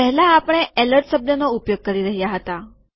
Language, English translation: Gujarati, Previously we were using the word alert